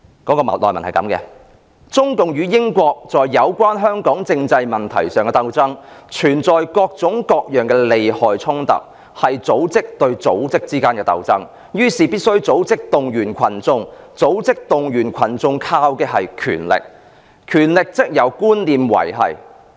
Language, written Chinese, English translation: Cantonese, 內文是這樣的："中共與英國在有關香港政制問題上的鬥爭，存在各種各樣的利害衝突，是組織對組織之間的鬥爭，於是，必須組織動員群眾，組織動員群眾靠的是權力，權力則由觀念維繫。, It says The struggle between the Communist Party of China and the United Kingdom on the constitutional development of Hong Kong involves all sorts of conflicts of interests . As it is a struggle between two organizations each of them has to mobilize the public the basis of mobilization is power and power is maintained by beliefs